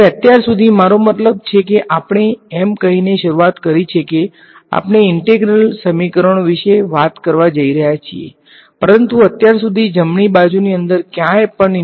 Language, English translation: Gujarati, Now, so far I mean we started by saying that we are going to talk about integral equations but, so far there is no integral anywhere inside right